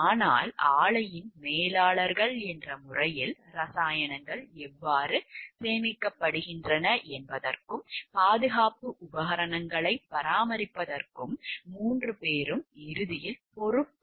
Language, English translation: Tamil, But as the managers of the plant the 3 were ultimately responsible for the chemicals were stored and for the maintenance of the safety equipment